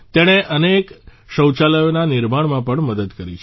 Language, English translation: Gujarati, It has also helped in the construction of many toilets